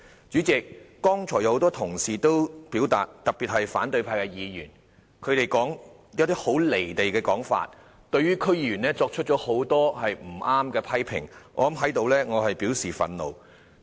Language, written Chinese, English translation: Cantonese, 主席，剛才多位同事在發言中均提出很"離地"的說法，對區議員作出很多不正確的批評，我在此表示憤怒。, President just now a number of Honourable colleagues especially Members of the opposition camp made comments in their speeches which were detached from reality and a lot of incorrect criticisms of DC members . Here I express my anger